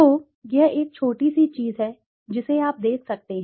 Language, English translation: Hindi, So, this is a small thing you can see